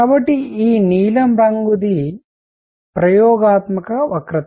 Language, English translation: Telugu, So, this is the experimental curve the blue one